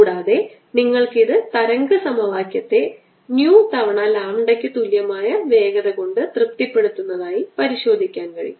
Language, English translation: Malayalam, and i can check that this and satisfy the wave equation with velocity being equal to new times lambda